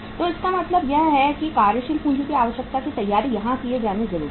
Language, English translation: Hindi, So it means preparation of working capital what is required to be done here